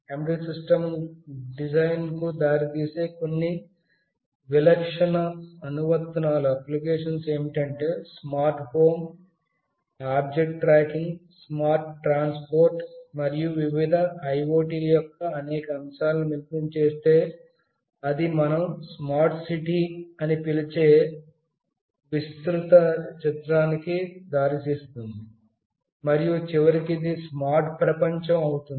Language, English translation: Telugu, Some typical applications leading to embedded system design could be smart home, object tracking, smart transportation, and of course if you combine many of the aspects of various IoTs, then it leads to a broader picture we call it smart city, and ultimately to smart world